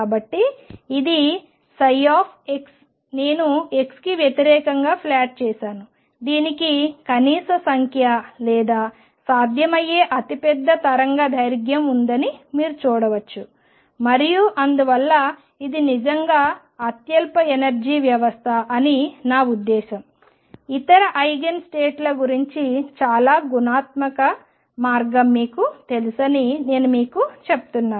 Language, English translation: Telugu, So, this is psi x I plotted against x you can see that it has minimum number or largest possible wavelength and therefore, it is really the lowest energy system I mean this is I am just telling you know very qualitative way what about other Eigen states